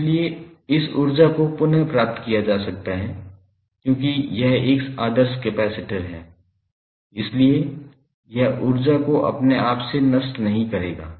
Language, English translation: Hindi, So, this energy can be retrieve because it is an ideal capacitor, so it will not dissipates energy by itself